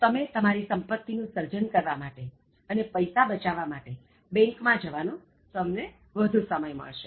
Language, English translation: Gujarati, So, then you will be able to spend more time on creating your wealth and going to bank for saving the wealth also